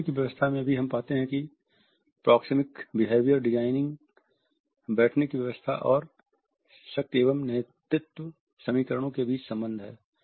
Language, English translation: Hindi, In seating arrangements also we find that there are linkages between and among proxemic behavior designing, seating arrangement and power and leadership equations